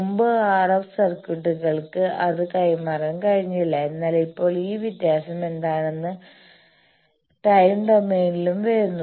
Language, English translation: Malayalam, Previously, RF circuits were not able to pass that, but now what is this distinction is coming down also in time domain